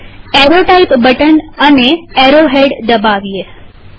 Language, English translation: Gujarati, Let us click the Arrow Type button and an arrow head